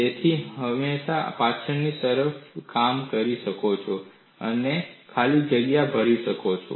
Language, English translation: Gujarati, So, you can always work backwards and fill in the blanks